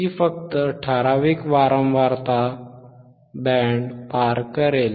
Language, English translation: Marathi, So, iIt will only pass certain band of frequency